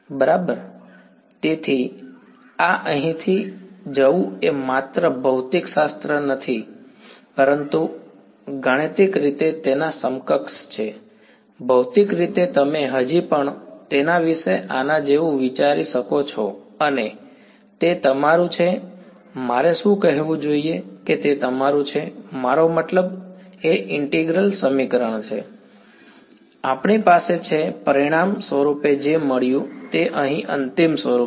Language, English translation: Gujarati, Right; so, this going from here to here is just not physics, but math mathematically its equivalent ok, physically you can still think of it like this and that is your what should I say that that is your I mean the integral equation that, we have got as a result over here is the final form